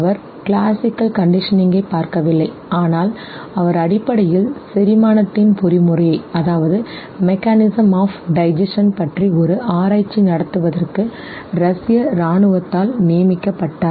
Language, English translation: Tamil, He was not looking at classical conditioning at all, but he was basically designated by the Russian army of conducting a research on the mechanism of digestion